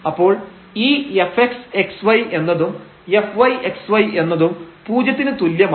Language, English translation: Malayalam, So, this x is 0 and then we have y is equal to 0